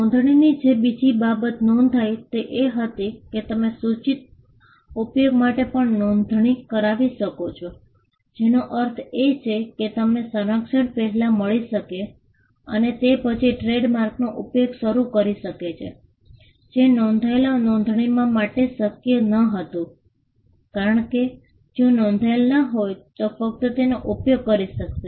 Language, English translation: Gujarati, The second thing that registration brought about was, you could also register for a proposed use, which means you could get the protection first and then start using the trade mark, which was not possible for unregistered marks because, unregistered marks could only be enforced, if they were used